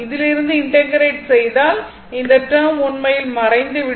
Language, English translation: Tamil, So, if you integrate from this one this one, because these term actually will vanish